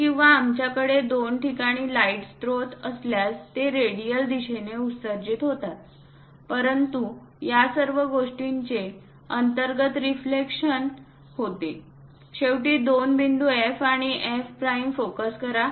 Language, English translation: Marathi, Or if we have light sources at two locations, they will be emanating in radial directions; but all these things internally reflected, finally focus two points F and F prime